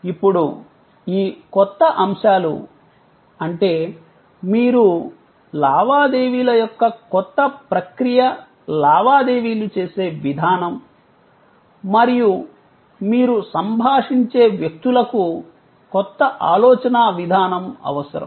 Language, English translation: Telugu, Now, there, these new elements; that means the way you transact the new process of transaction and the people with whom you interact need new way of thinking